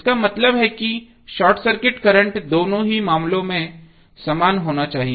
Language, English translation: Hindi, That means that short circuit current should be same in both of the cases